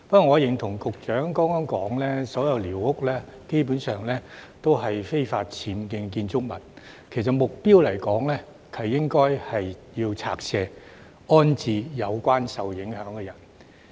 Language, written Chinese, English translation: Cantonese, 我認同局長剛才說所有寮屋基本上都是非法僭建的建築物，就目標來說，是應該拆卸的，安置受影響的人。, I agree with the Secretary that all squatter huts are basically illegal structures and those affected should be rehoused